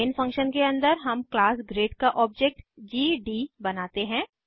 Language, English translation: Hindi, Inside the main function we create an object of class grade as gd